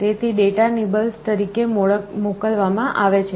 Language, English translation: Gujarati, So, data are sent as nibbles